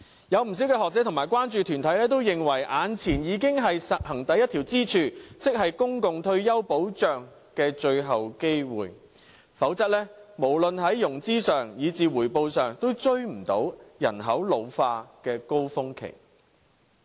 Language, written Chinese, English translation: Cantonese, 不少學者和關注團體都認為，眼前已經是實行第一條支柱，即是公共退休保障的最後機會，否則無論在融資上，以至回報上，也追不上人口老化的高峰期。, In the opinions of many academics and concern groups we have to establish the first pillar now that is implementing public retirement protection . Otherwise in terms of financing or even investment returns we will never be able to catch up with the pace of population ageing and get our task done before it reaches the peak